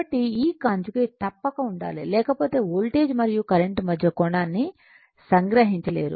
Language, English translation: Telugu, So, that is why this conjugate is must right otherwise you cannot capture the angle between the voltage and current